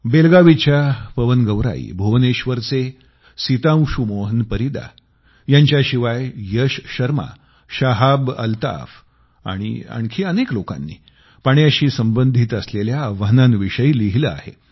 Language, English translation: Marathi, PawanGaurai of Belagavi, Sitanshu Mohan Parida of Bhubaneswar, Yash Sharma, ShahabAltaf and many others have written about the challenges related with water